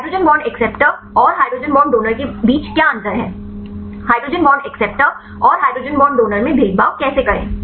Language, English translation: Hindi, What difference between hydrogen bond acceptor and hydrogen bond donor, how to discriminate hydrogen bond acceptor and hydrogen bond donor